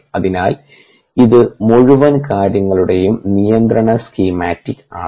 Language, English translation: Malayalam, so this is the control schematic of the whole thing